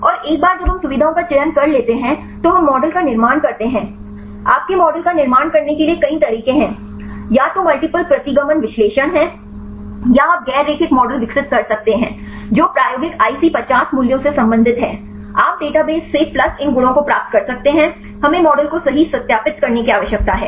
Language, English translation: Hindi, And once we select the features then we construct model there are various ways to construct your model either the multiple regression analysis or you can developing non linear models right to relate the experimental IC50 values right you can get from the databases plus these properties right then we need to validate the model right